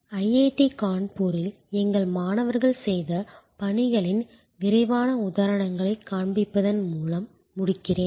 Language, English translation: Tamil, I will conclude by showing to quick examples of the work done by our students at IIT Kanpur